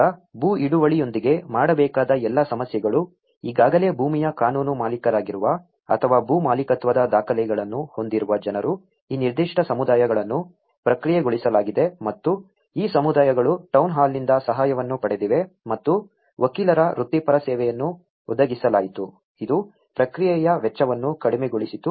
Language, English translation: Kannada, Now, the all issue to do with the land tenure so, the people who were already a legal owners of the land or had a land ownership documents so that, these particular communities have been processed and these communities have received help from the town hall and were provided with the professional service of lawyer which brought down the cost of the process